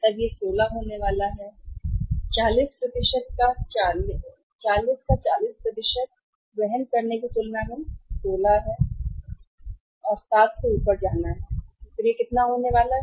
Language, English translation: Hindi, Then it is going to be 16, 40% of the 40 is 16 than carrying cost is going to go up by 7 and then it is going to be how much